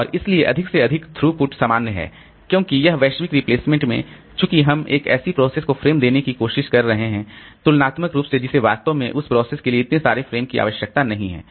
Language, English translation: Hindi, And a greater throughput, so more common because this global replacement since we are trying to give frames to a process which really in need compared to the process which has which does not need so many frames